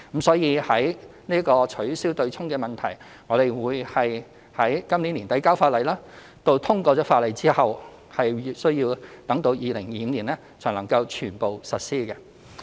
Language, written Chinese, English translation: Cantonese, 所以取消"對沖"的問題，我們會在今年年底提交法例，通過法例後需待至2025年才能全部實施。, Therefore in respect of the abolition of the offsetting mechanism we will table the legislation by the end of this year but it can only be fully implemented in 2025 upon passage of the legislation